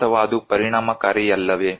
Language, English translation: Kannada, or is it not effective